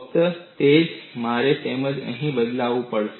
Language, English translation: Gujarati, Only that, I will have to substitute it here